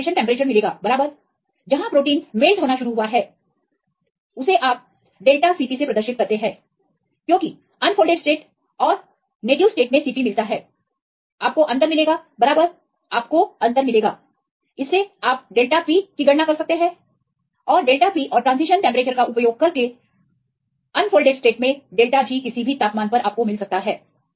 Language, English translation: Hindi, So, you see the increase in temperature and finally, you get the transition temperature right where the protein started to melt and you have delta Cp because here the Cp at unfolded state and Cp at the native state and get the difference right get the difference this will give you the delta Cp using the delta Cp and the transition temperature you can calculate the unfolded delta G at any temperature